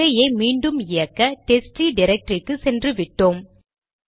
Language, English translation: Tamil, Run it again and it will take us back to the testtree directory